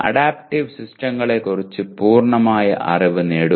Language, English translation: Malayalam, Get complete knowledge regarding adaptive systems